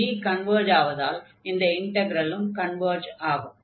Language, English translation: Tamil, And since this integral g converges, the other one will also converge